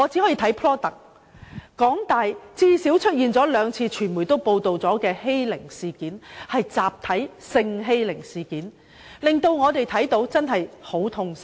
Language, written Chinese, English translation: Cantonese, 香港大學最少已出現兩次傳媒均有報道的集體欺凌事件，這實在令我們感到很痛心。, At least two incidents of group bullying have occurred in the University of Hong Kong and it is really distressing to learn about these cases from the media coverage of the incidents